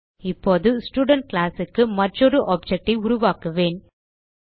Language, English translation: Tamil, Now, I will create one more object of the Student class